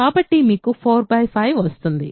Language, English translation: Telugu, So, you had 4 by 5 right